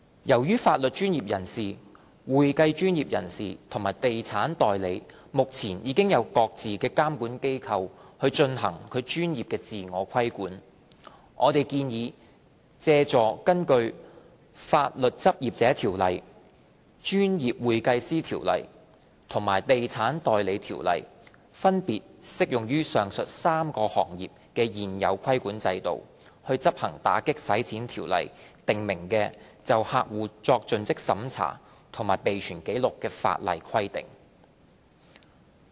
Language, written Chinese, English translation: Cantonese, 由於法律專業人士、會計專業人士和地產代理目前已經由各自的監管機構進行專業自我規管，我們建議借助根據《法律執業者條例》、《專業會計師條例》和《地產代理條例》分別適用於上述3個行業的現有規管制度，執行《條例》訂明的就客戶作盡職審查及備存紀錄的法例規定。, As legal professionals accounting professionals and estate agents are currently subject to professional self - regulation by their respective regulatory bodies we have proposed to use the existing regulatory regimes applicable to the three sectors under the Legal Practitioners Ordinance the Professional Accountants Ordinance and the Estate Agents Ordinance respectively to enforce the statutory CDD and record - keeping requirements under AMLO